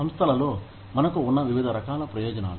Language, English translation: Telugu, Various types of benefits, that we have in organizations